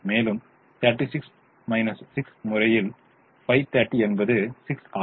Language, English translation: Tamil, and thirty six by five, six is smaller